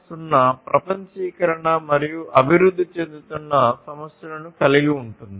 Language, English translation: Telugu, 0 incorporates globalization and emerging issues as well